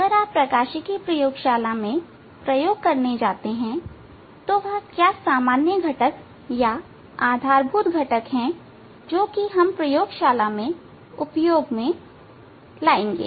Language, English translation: Hindi, If you go to optics lab for doing experiment, what are the common components, basic components we will use in optics lab